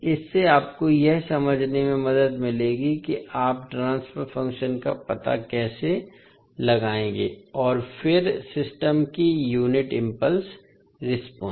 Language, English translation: Hindi, So this will help you to understand how you will find out the transfer function and then the unit impulse response of the system